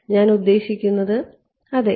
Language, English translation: Malayalam, What is I mean yeah